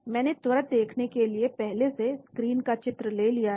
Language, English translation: Hindi, I have captured the screens before for quick viewing